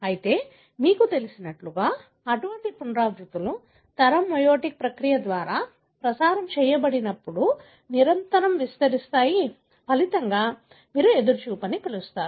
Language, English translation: Telugu, But what is, you know, established, that such repeats, when transmitted through generation, meiotic process, invariably expand, results in what do you call as anticipation